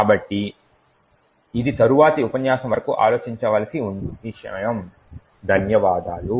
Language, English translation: Telugu, So, this is something to think about until the next lecture, thank you